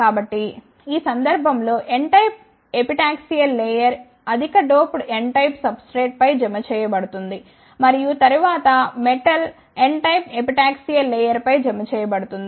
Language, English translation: Telugu, So, in this case the n type of epitaxial layer is deposited on the highly doped n type of substrate and then metal is deposited on the n type of epitaxial layer